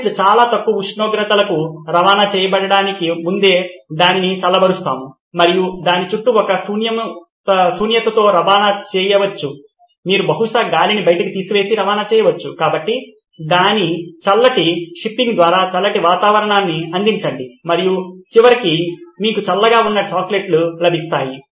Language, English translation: Telugu, Well we will cool the chocolate before it’s shipped to ultra low temperatures and then ship it with vacuum around it that you can probably pull out the air and send it across so set a cooler environment all through its shipping and at the end you get is the cool chocolates